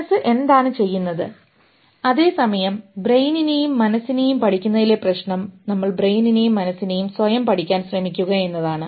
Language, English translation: Malayalam, While the problem with studying the brain and mind is that we are trying to study brain and mind through itself